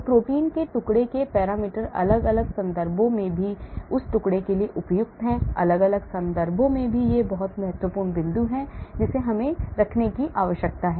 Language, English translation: Hindi, So parameters for fragments of proteins are appropriate for that fragment in different context also, in different context also that is a very important point we need to keep